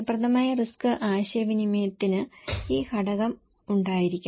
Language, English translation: Malayalam, An effective risk communication should have this component